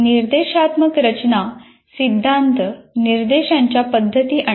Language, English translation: Marathi, Now, instructional design theory identifies methods of instruction